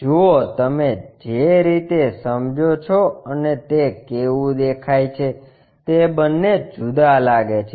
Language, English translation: Gujarati, See, the way what you perceive and the way how it looks like these are different